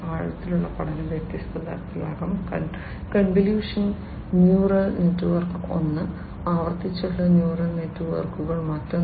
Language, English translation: Malayalam, Deep learning can be of different types: convolutional neural network is one, a recurrent neural networks is another